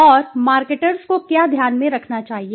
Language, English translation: Hindi, And what should marketers keep in mind